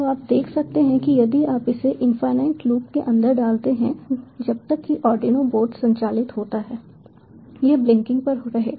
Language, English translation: Hindi, so you can see, if you put it inside an infinite loop, as long as the ardiuno board is powered it will keep on blinking